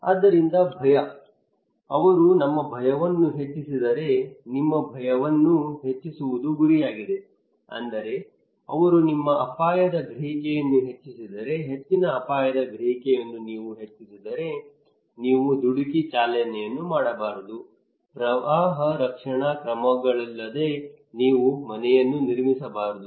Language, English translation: Kannada, So fear, it is the target the objective is to increase your fear if they can increase your fear that means if they can increase your risk perception, high risk perception once you have then you should not do rash driving you should not build your house without flood protective measures